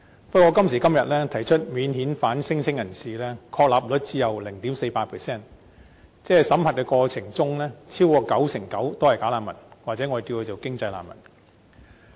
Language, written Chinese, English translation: Cantonese, 不過，今時今日，提出免遣返聲請人士，確立率只有 0.48%， 即審核的過程中超過九成九是"假難民"，或可稱之為"經濟難民"。, But at present the substantiation rate of non - refoulement claimants is only 0.48 % meaning that over 99 % of such claimants are found to be bogus refugees or economic refugees during the vetting and approval process